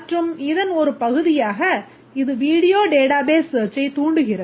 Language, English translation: Tamil, And as part of this, it invokes video database searching